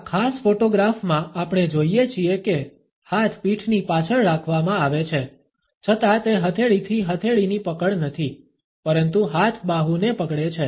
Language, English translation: Gujarati, In this particular photograph, we find that though the hands are held behind the back still it is not a palm to palm grip rather the hand is holding the arm